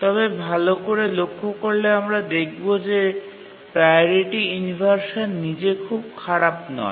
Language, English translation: Bengali, But as we will see now that priority inversion by itself is not too bad